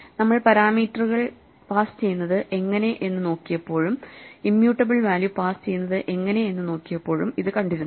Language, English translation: Malayalam, We saw this when we were looking at how parameters are passed and immutable value are passed